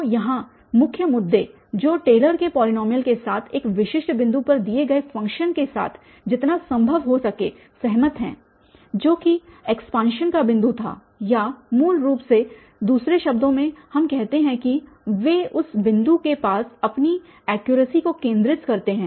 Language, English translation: Hindi, So, the main issues here the Taylor’s polynomial agrees as closely as possible with a given function at a specific point which was the point of expansion or basically in other word, we say that they concentrate their accuracy near that point